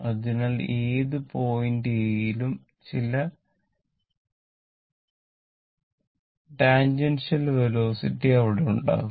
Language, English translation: Malayalam, So, at any point a some tangential velocity will be there